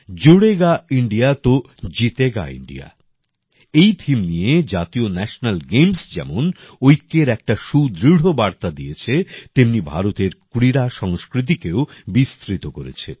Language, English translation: Bengali, With the theme 'Judega India to Jeetega India', national game, on the one hand, have given a strong message of unity, on the other, have promoted India's sports culture